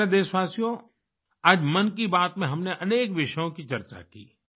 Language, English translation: Hindi, My dear countrymen, today in 'Mann Ki Baat' we have discussed many topics